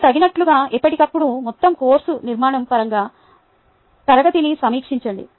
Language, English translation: Telugu, also and, as appropriate, a review the class in terms of the overall course structure from time to time